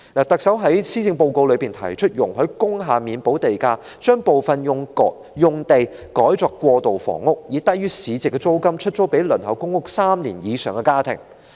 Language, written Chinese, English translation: Cantonese, 特首在施政報告中提出容許工廈免補地價，把部分用地改作過渡性房屋，以低於市值租金出租予輪候公屋3年以上的家庭。, In the Policy Address the Chief Executive proposed to provide a premium waiver for industrial buildings so that some of the sites can be converted for transitional housing which will be rented to families waitlisted for PRH for over three years at rents lower than the market level